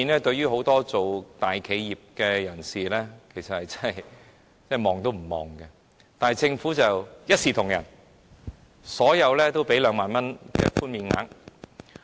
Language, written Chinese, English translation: Cantonese, 對於很多在大企業工作的人士來說 ，2 萬元這數目實在是微不足道；但政府卻一視同仁，對所有人提供2萬元的寬免額。, To many of those who work in large enterprises 20,000 is indeed negligible . However the Government makes no exception providing the 20,000 deduction to all